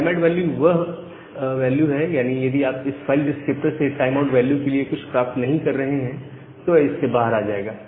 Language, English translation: Hindi, So, the timeout value is that if you are not getting anything from this file descriptor for this timeout value